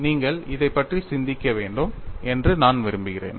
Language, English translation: Tamil, I want to you think about it